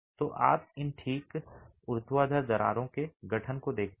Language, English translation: Hindi, So, you see the formation of these fine vertical cracks